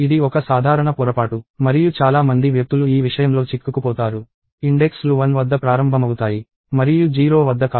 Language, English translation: Telugu, This is a common mistake and lot of people get trapped in this thing that, the indices start at 1 and not at 0